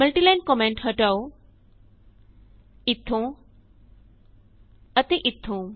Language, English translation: Punjabi, Remove the multiline comments from here and here